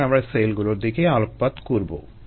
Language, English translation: Bengali, therefore we are looking at cells themselves